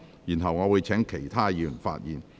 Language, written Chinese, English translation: Cantonese, 然後，我會請其他議員發言。, Then I will call upon other Members to speak